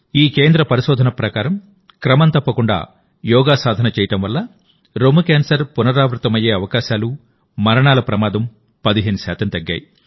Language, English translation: Telugu, According to the research of this center, regular practice of yoga has reduced the risk of recurrence and death of breast cancer patients by 15 percent